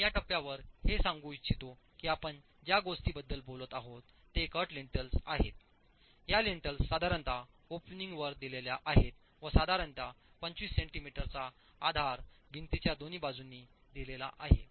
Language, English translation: Marathi, I would like to state at this stage that what we are talking about are cut lintels, just lintels which are provided for the opening with some bearing on either sides, typically about 25 centimeters of bearing on either sides of the wall